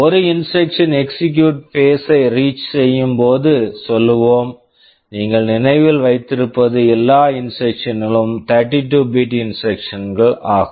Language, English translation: Tamil, Let us say when an instruction reaches the execute phase, one thing you remember I told you all instructions are 32 bit instructions